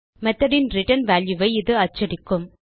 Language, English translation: Tamil, This will print the return value of the method